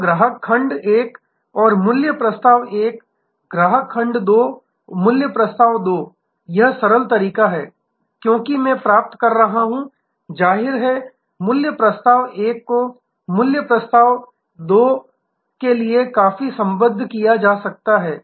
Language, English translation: Hindi, So, customer segment 1 and value proposition 1, customer segment 2 and value proposition 2, this is the simplistic way I am deriving because; obviously, value proposition 1 may be quite allied to value proposition 2